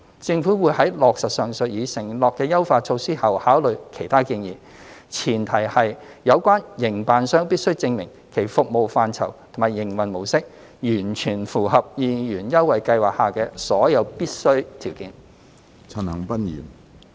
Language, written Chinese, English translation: Cantonese, 政府會在落實上述已承諾的優化措施後考慮其他建議，前提是有關營辦商必須證明其服務範疇及營運模式完全符合二元優惠計劃下的所有必須的條件。, Upon implementation of the above enhancement measures as already committed the Government will consider other recommendations on the condition that the operators concerned can prove that their service scope and operation mode fully comply with all the necessary conditions under the 2 Scheme